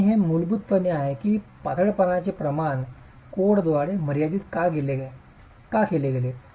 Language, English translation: Marathi, And that is fundamentally the reason why slenderness ratios are limited by codes